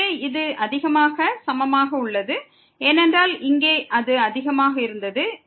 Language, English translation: Tamil, So, this is greater than equal to because here it was greater than